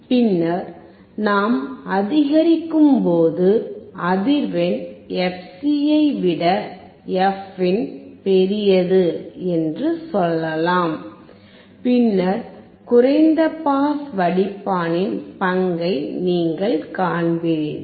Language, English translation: Tamil, And then when we increase the frequency, let us say fin is greater than fc then you will see the role of the low pass filter